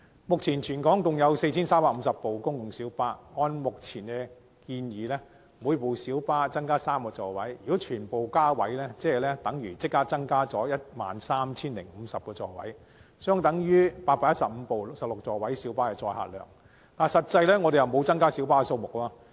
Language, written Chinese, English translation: Cantonese, 目前，全港共有 4,350 輛公共小巴，按照現時建議，每輛小巴將會增加3個座位，如果全部小巴都增加座位，便等於增加 13,050 個座位，相等於815輛16座位小巴的載客量，但實際上沒有增加小巴數目。, At present there are 4 350 PLBs in Hong Kong . Under the current proposal each PLB will have three additional seats . If all PLBs are retrofitted with three additional seats the seating capacity will be increased to 13 050 which is equivalent to the carrying capacity of 815 16 - seat PLBs without actually increasing the number of PLBs